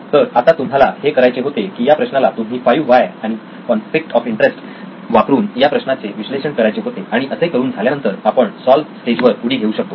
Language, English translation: Marathi, So now what you had to do was to analyze using 5 why’s and the conflict of interest, once you have that then we can jump into the solved stage